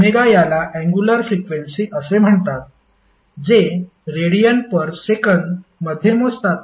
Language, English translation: Marathi, Omega is called as angular frequency which is measured in radiance per second